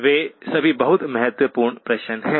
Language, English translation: Hindi, Those are all very important questions